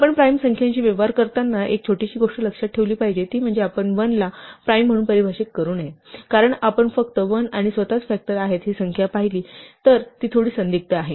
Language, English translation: Marathi, One small thing to be aware of when we are dealing with prime numbers is that we should not accidentally define 1 to be a prime, because if you just look at this definition that the only factors are 1 and itself, it is a bit ambiguous because 1 is a factor and itself 1 is also a factor